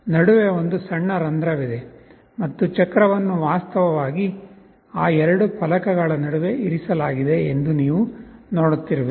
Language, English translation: Kannada, You see there is a small hole in between and the wheel is actually placed in between those two plates here